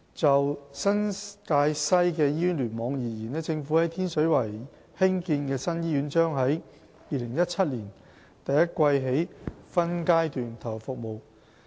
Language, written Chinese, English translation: Cantonese, 就新界西醫院聯網而言，政府在天水圍興建的新醫院將在2017年第一季起分階段投入服務。, For the NTW Cluster the new hospital constructed in Tin Shui Wai will commence operation in the first quarter of 2017 by phases